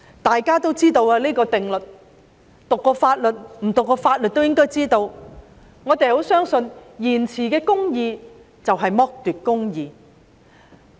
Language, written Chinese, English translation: Cantonese, 大家都知道這個定律——沒有讀過法律的人理應也知道——我們十分相信，延遲的公義就是剝奪的公義。, Everyone and even those with no legal training should know that justice delayed is justice denied which we very much believe . The Government often waits till the last minute to take action